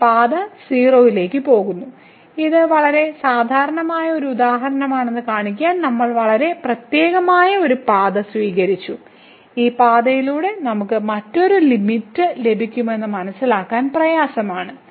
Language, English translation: Malayalam, This path is going to 0 so, we have taken a very special path to show this is a very typical example and difficult to realize that a long this path we will get a different limit